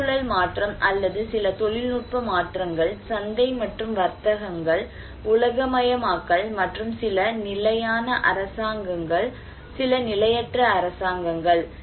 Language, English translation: Tamil, Environmental change or some technological changes, market and trades, globalization, and government and policies like some governments are stable, some governments are not stable